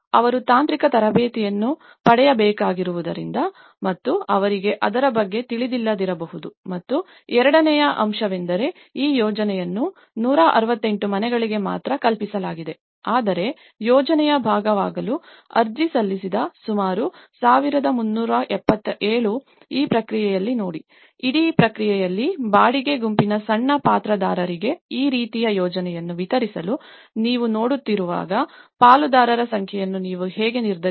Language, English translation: Kannada, Because they need to get the technical training and they are not may not be aware of it and the second aspect is this project was only conceived for 168 houses but about 1377 who have applied to be part of the project, see in this process; in the whole process, when you are looking at delivered this kind of project for with the small actors who are the rental group, how will you decide on the number of stakeholders